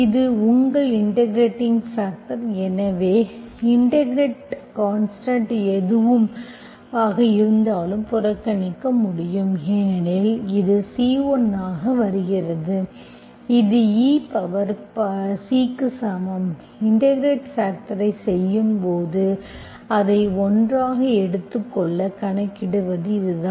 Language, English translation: Tamil, So whatever the integration constant, you can ignore because it comes as C1 which is equal to e power C that you can take it as one while doing the integrating factor, okay